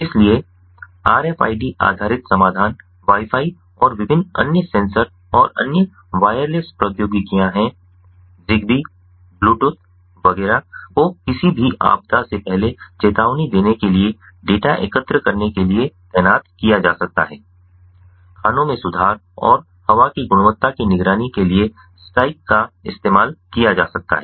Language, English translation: Hindi, so rfid based solutions are wifi and different other sensors and other wireless technologies zigbee, bluetooth, etcetera can be deployed to collect data, to provide early warning before any disaster actually strikes can be used in the mines to improve, to monitor not improve, but monitor the air quality